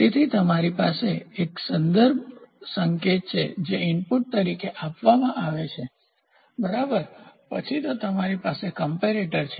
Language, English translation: Gujarati, So, you have a reference signal which is given as an input, ok, then, you have you have a comparator